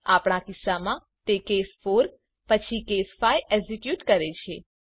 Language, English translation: Gujarati, In our case, it executed case 5 after case 4